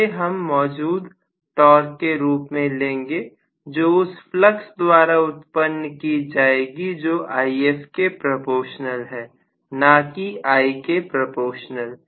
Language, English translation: Hindi, So, I have to take this as the overall torque, that is being produced because the flux is proportional to If, not proportional to I as it is, right